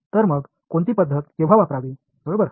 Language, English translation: Marathi, So, when should one use which method right